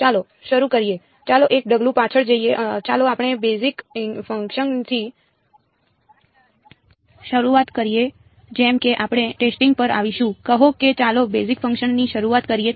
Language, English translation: Gujarati, Let us start let us take one step back let us start with the basis functions we will come to testing like, say let us start with the basis functions